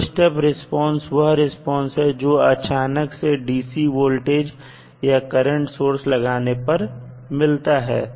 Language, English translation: Hindi, So, step response is the response of the circuit due to sudden application of dc voltage or current source